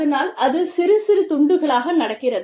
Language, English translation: Tamil, And so, it is happening in pieces